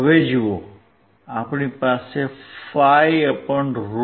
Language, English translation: Gujarati, see so now, we have 5 / √ 2